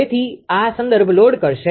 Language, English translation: Gujarati, So, this will load reference